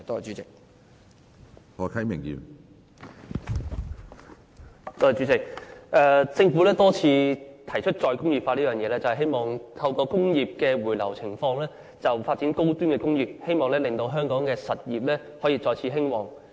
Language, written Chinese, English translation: Cantonese, 主席，政府多次提出再工業化，希望透過工業回流來發展高端工業，令香港的實業可以再次興旺。, President the Government has repeatedly mentioned the term re - industrialization in the hope that industries can return to Hong Kong to develop high - tier industries so that the industry in Hong Kong can be revitalized